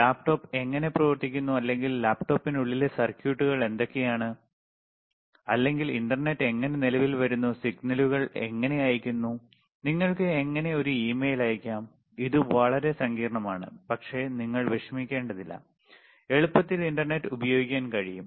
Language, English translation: Malayalam, If you really see how laptop operates or how the what are the circuits within the laptop, or how the internet is you know comes into existence, and how the signals are sent, how you can send, an email, it is extremely complicated, super complicated, but do not you worry no because you can easily use internet